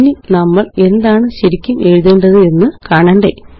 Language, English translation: Malayalam, Now is this really what we wanted to write